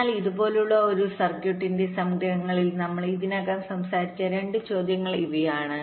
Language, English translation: Malayalam, so to summaries for a circuit like this skew, these are the two question already we have talked about